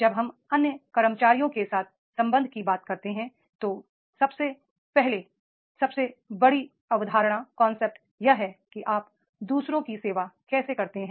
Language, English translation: Hindi, The relationship when we talk about with the other employees, the first and foremost concepts that is how do you serve others, you are the employees